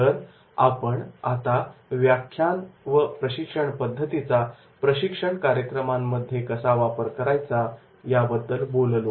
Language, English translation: Marathi, So, this is about the lectures and training methods which I have talked about how we can use into the training programs